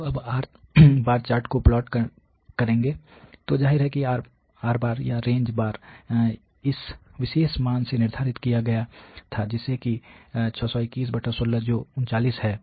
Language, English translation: Hindi, So, now will plot the chart, so obviously, the or the range bar was determined from this particular value here as that is 39